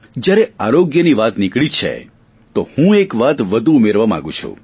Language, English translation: Gujarati, While we are on the subject of health, I would like to talk about one more issue